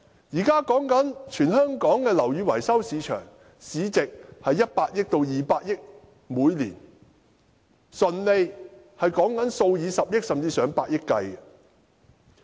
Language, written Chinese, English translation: Cantonese, 現在全香港的樓宇維修市場，每年市值為100億元至200億元，純利數以十億元甚至上百億元計。, At present the whole building maintenance market in Hong Kong is worth 10 billion to 20 billion a year . The net profit amounts to billions and even tens of billions of dollars